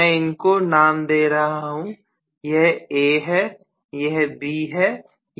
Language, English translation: Hindi, Let me name this maybe this is A this is B this is C, okay